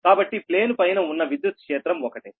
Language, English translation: Telugu, so the electric field above the plane is the same, that is